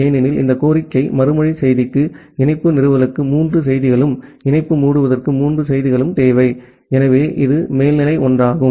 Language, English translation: Tamil, Because for this request response message, you require three messages for connection establishment and three messages for connection closure, so that is one of the over head